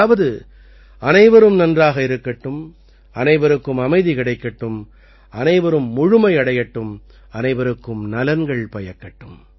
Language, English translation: Tamil, That is, there should be welfare of all, peace to all, fulfillment to all and well being for all